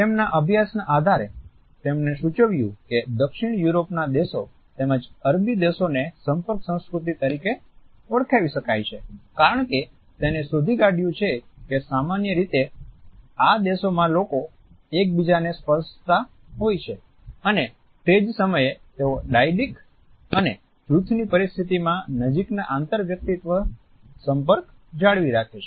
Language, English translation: Gujarati, On the basis of his studies he has suggested that countries of Southern Europe as well as Arabic countries can be termed as being contact cultures because in these societies normally he found that people are prone to touching each other and at the same time they maintain closer interpersonal contact in dyadic and team situations